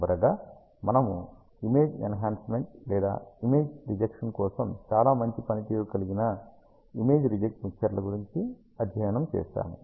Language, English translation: Telugu, And lastly, we studied about image reject mixers, which are used to have image enhancement or very good performance for the image rejection